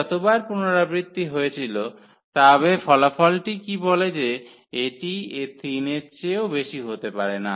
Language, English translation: Bengali, As many times as the lambda was repeated, but what that result says that it cannot be more than 3